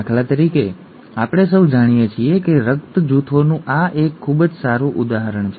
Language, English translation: Gujarati, For example, it is a very good example that of blood groups, we all know